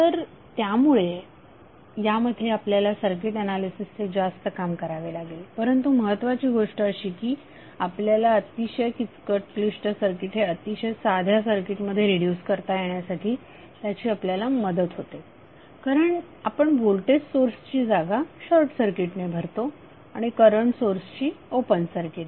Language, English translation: Marathi, So this will be giving you more work to analyze the circuit but the important thing is that it helps us to reduce very complex circuit to very simple circuit because you are replacing the voltage source by short circuit and current source by open circuit